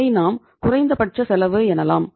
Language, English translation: Tamil, You will say that is the minimum cost